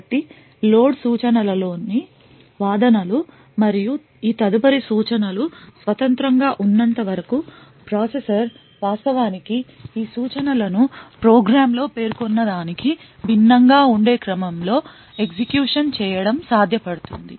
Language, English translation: Telugu, So as long as the arguments in the load instructions and those of these subsequent instructions are independent it would be possible for the processor to actually execute these instructions in an order which is quite different from what is specified in the program